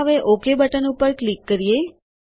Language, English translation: Gujarati, Let us click on the Ok button now